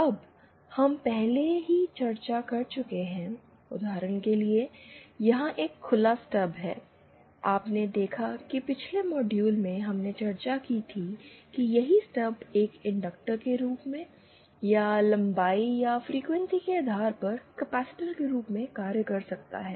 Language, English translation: Hindi, Now, this we have already discussed, for example, here is a open Stub, you saw that in the previous module we had discussed that the same stub can act as as a inductor or as a capacitor depending on the length or the frequency